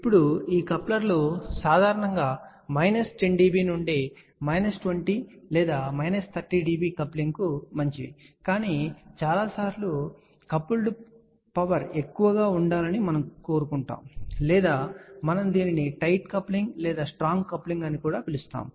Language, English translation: Telugu, Now, these couplers are good for generally speaking coupling of minus 10 dB to minus 20 or minus 30 dB, but many a times there is a requirement that we want the coupled power to be high or we can call it a tight coupling also known as strong coupling